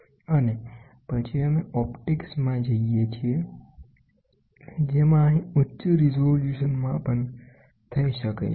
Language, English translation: Gujarati, And then we get into optics, wherein which a high resolution can be done here